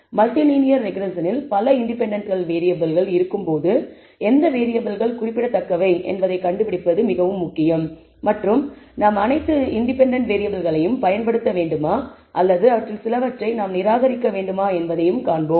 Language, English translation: Tamil, When we have several independent variables in multilinear regression we will see that it is also important to find out which variables are significant, whether we should use all the independent variables or whether we should discard some of them